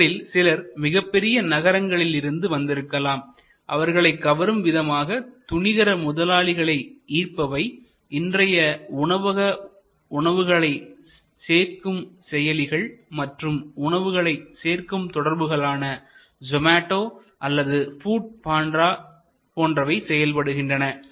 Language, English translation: Tamil, So, not necessarily therefore some of them are high city based, so you do have now drawling of the venture capitalist the so called food delivery apps and food delivery networks like Zomato or Food Panda and so on